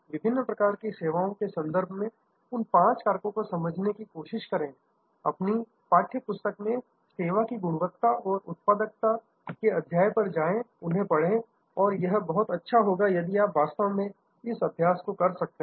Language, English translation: Hindi, Try to understand those five factors in terms of the different types of services, go to the chapter on service quality and productivity in your text book and read those and it will be great if you can actually do this exercise